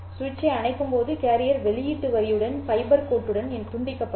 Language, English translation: Tamil, You turn the switch off, the carrier will be disconnected to the output line, to the fiber line